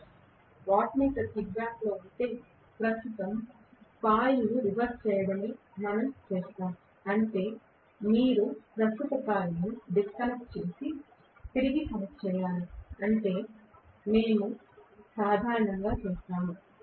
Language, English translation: Telugu, If 1 of the wattmeter kickback, then what we will do is to reverse the current coil, that means you have to disconnect and reconnect the current coil that is what we will do normally